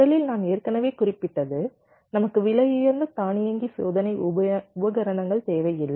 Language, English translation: Tamil, we first one: i already mentioned that we do not need an expensive automated test equipment